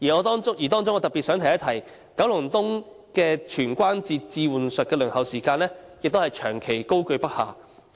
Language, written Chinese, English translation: Cantonese, 當中我特別想指出，九龍東的全關節置換手術的輪候時間長期居高不下。, Among them I especially wish to point out that the waiting time for total joint replacement surgery in Kowloon East has remained high for a long period